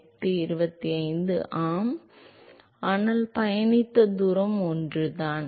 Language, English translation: Tamil, But the distance travelled is the same